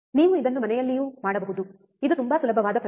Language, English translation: Kannada, You can also do it at home, this is very easy experiment